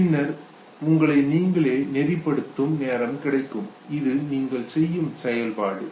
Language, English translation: Tamil, And then you gain time to orient yourself, this is the function that you perform